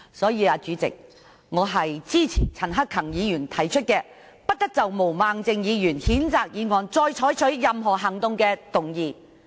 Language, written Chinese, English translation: Cantonese, 因此，主席，我支持陳克勤議員提出的"不得就譴責議案再採取任何行動"的議案。, As such President I support the motion moved by Mr CHAN Hak - kan that no further action be taken on the censure motion